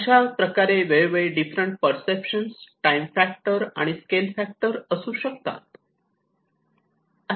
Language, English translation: Marathi, So, there are different perceptions of looking at that from the time factor and the scale factor of it